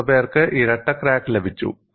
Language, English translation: Malayalam, How many have got the double edge crack